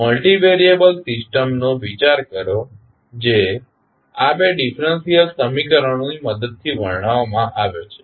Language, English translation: Gujarati, Consider a multivariable system which is described with the help of these two differential equations